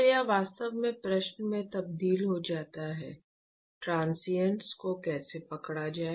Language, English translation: Hindi, So, this really translates into question, how to capture the transients